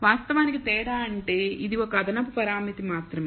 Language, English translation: Telugu, So, the difference actually means it is only one extra parameter